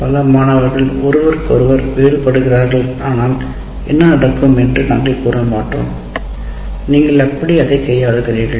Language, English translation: Tamil, We will not say what happens if so many students are differ from each other, how do you take care of it